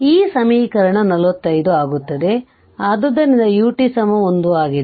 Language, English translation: Kannada, So, this equation 45 becomes, so U t is 1